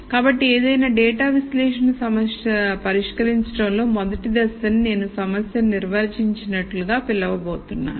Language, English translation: Telugu, So, I am going to call the rst step in any data analysis problem solving as defining the problem